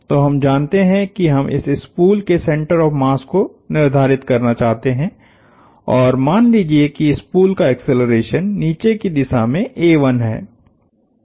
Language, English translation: Hindi, So, we know we want to identify the center of mass of this spool and let us say, the acceleration of the spool is a 1 in a downward sense